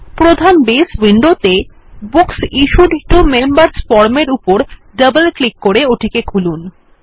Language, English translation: Bengali, In the main Base window, let us open the Books Issued to Members form by double clicking on it